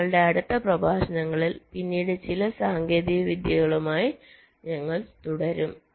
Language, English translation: Malayalam, so we shall be continuing with some more techniques later in our next lectures